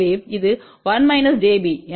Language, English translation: Tamil, So, this is 1 minus j b